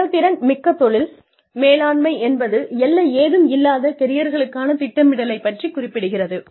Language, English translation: Tamil, Proactive Career Management is, about planning for careers, that are boundaryless